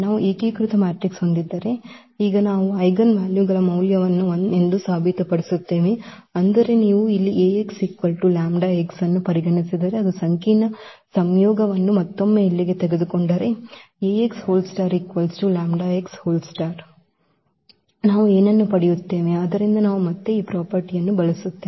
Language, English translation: Kannada, So, if we have unitary matrix then we will prove now the eigenvalues the modulus of the eigenvalues is 1; that means, if you consider here Ax is equal to lambda x and then taking the complex conjugate here again Ax star is equal to lambda x star what we will get so this again we will use this property